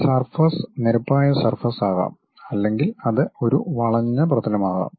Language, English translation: Malayalam, This surface can be plane surface or it can be curved surface